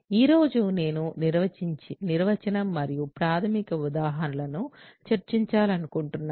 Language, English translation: Telugu, Today, I want to discuss the definition and basic examples